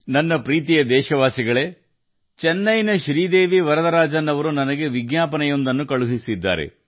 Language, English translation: Kannada, My dear countrymen, Sridevi Varadarajan ji from Chennai has sent me a reminder